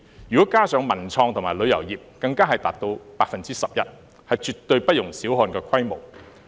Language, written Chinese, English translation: Cantonese, 如果加上文創及旅遊業，更達到 11%， 是絕對不容小看的規模。, If cultural creative and tourism industries are added in it will reach 11 % which is a scale that should not be underestimated